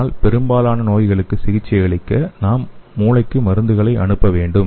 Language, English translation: Tamil, So but most of the diseases we have to send the drugs to the brain